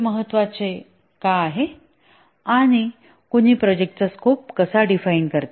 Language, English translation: Marathi, Why is it important and how does one define the project scope